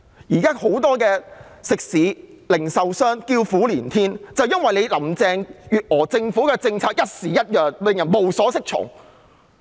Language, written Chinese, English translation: Cantonese, 現在很多食肆、零售商叫苦連天，原因正是林鄭月娥政府的政策朝令夕改，令人無所適從。, At present lots of restaurants and retailers have been moaning and groaning . It is precisely because of the frequent and abrupt changes in the policies of Carrie LAMs Government which have left people confused